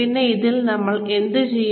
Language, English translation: Malayalam, And, in this, what do we do